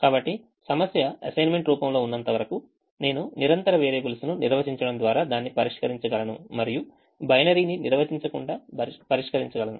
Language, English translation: Telugu, so as long as the problem is within the assignments structures, i can solve it by defining continuous variables and just solve it without defining the binary